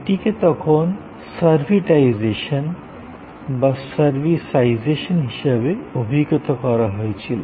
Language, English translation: Bengali, So, this was what then got termed as servitization or servisization